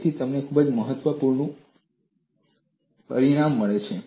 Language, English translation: Gujarati, So, you get a very important result